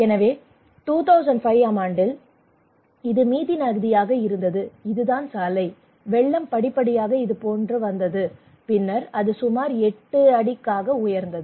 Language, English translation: Tamil, So in 2005 it was a Mithi river, and this is the road, and the flood came like this okay gradually and then it was around 8